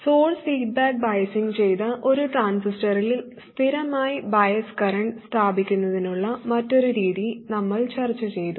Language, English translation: Malayalam, We discussed another method of establishing a constant bias current in a transistor, that is source feedback biasing